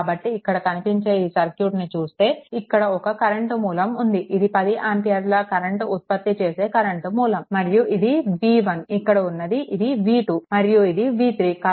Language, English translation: Telugu, So, in this circuit in this circuit, you have a you have a current source, here you have a current sources of 10 ampere, right and this is this is v 1 this is v 2 and this is v 3, right